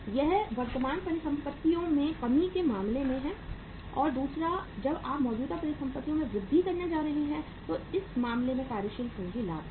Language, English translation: Hindi, This is in case of the decrease in the current assets and second is the working capital leverage in case of the when you are going to increase the increase in current assets